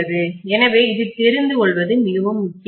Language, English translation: Tamil, So this is really important to know